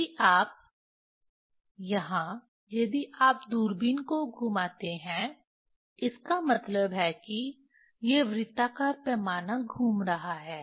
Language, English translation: Hindi, If you, Vernier if you rotate the telescope; that means, these circular scale is rotating